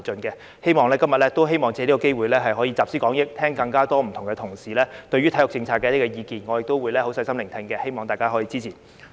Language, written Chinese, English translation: Cantonese, 我希望藉今天的機會集思廣益，聽取各位同事對體育政策的意見，我亦會細心聆聽，希望大家支持。, I hope we may take the opportunity today to put our heads together and listen to various colleagues views on sports policy . I will also listen carefully and hope to receive Members support